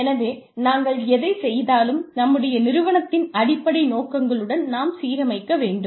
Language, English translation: Tamil, So, we must align, whatever we do, with the strategic objectives of our organization